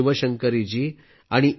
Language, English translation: Marathi, Shiv Shankari Ji and A